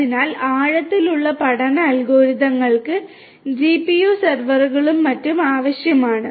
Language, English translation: Malayalam, So, deep learning algorithms will require GPU servers and the like